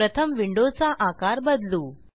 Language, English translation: Marathi, Let me resize this window first